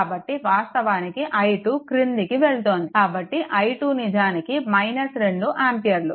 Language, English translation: Telugu, So, basically i 2 going downwards; so i 2 actually is equal to minus 2 ampere right